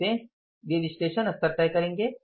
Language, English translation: Hindi, How do we decide the analysis